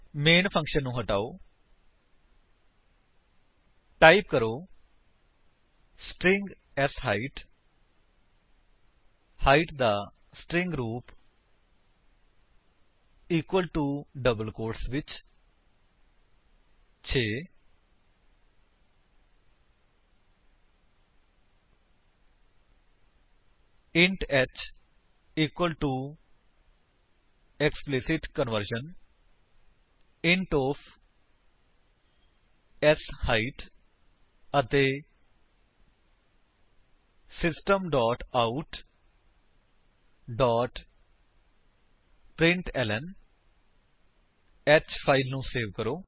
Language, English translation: Punjabi, Type: String sHeight meaning string form of Height equal to in double quotes 6 int h equal to explicit conversion int of sHeight and System dot out dot println Save the file